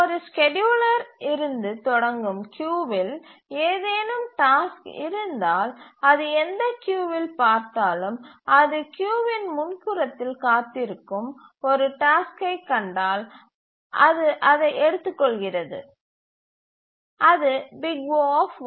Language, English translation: Tamil, So, if there is any task in a queue starting from 1, the scheduler looks through and in whichever queue it finds that there is a task waiting at the front of the queue, it just takes it and that is O1